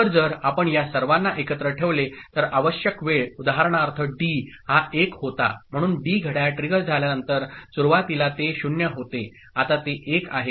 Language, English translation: Marathi, So, if you put together all of them ok, so the amount of time that is required for the, for example here D was 1 so D is after clock trigger becoming initially it was 0 becoming 1